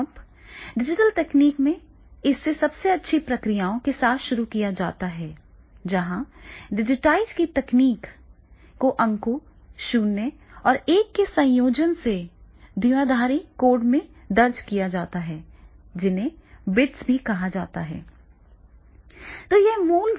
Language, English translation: Hindi, Now, in the digital technology, it is started with the best to processes, where the digitized information is recorded in the binary code of the combinations of the digits 0 and 1, and also called the bits